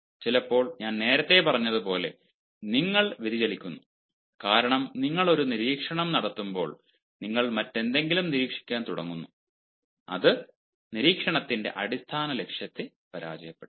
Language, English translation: Malayalam, you are deviated because, while you are making an observation, you start observing something else, and that will actually defeat the basic purpose of making observation